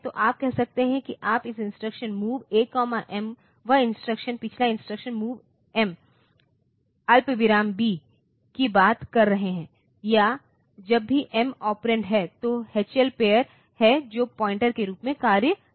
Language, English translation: Hindi, So, you can say that the you can use an instruction to that that LXI is sorry, that MOV A comma M that instruction the previous instruction that we are talking MOV M comma B or whenever the M is the operand, then it is the H L pair which acts as the pointer